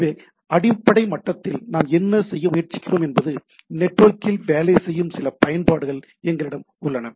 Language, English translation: Tamil, So, what we are trying to at done at the basic at the underlying level we have some applications which will work over the network